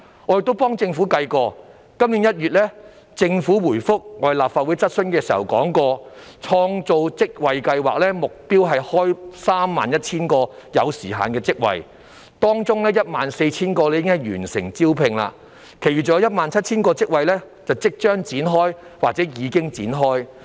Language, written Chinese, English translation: Cantonese, 我幫政府計算過，政府今年1月回覆立法會質詢時提到，創造職位計劃的目標是開設 31,000 個有時限職位，當中 14,000 個已完成招聘，其餘尚有 17,000 個職位即將展開或已經展開。, I have done some calculations for the Government . In its reply to a Legislative Council question in January this year the Government mentioned that the Job Creation Scheme aimed to create 31 000 time - limited jobs among which 14 000 jobs had been filled while the recruitment of the remaining 17 000 jobs had already commenced or would commence shortly